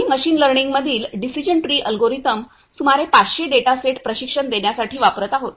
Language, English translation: Marathi, We are using decision tree algorithm of machine learning for training our training around 500 data set